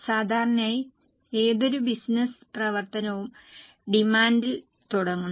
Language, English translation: Malayalam, Normally any business activities start with the demand